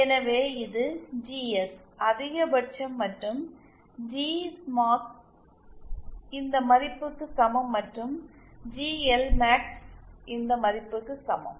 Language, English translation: Tamil, So this is GS max and G Smax is equal to this value and GLmax is equal to this value